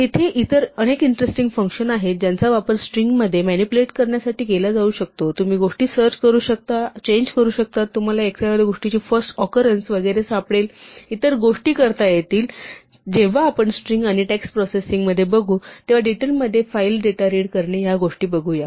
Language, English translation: Marathi, There are many other interesting functions that one can use to manipulate strings, you can search and replace things, you can find the first occurrence of something and so on, and we will see some of these later on, when we get into strings and text processing and reading data from files in more details